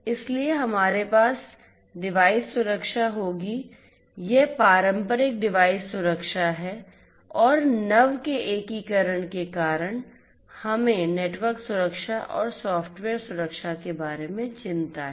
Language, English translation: Hindi, So, we will have the device security this is from the traditional device security, traditional and newly due to the integration of IT we have the concerns about network security and software security